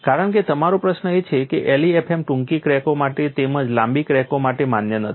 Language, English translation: Gujarati, Because your question is LEFM is not valid for short cracks as well as for long cracks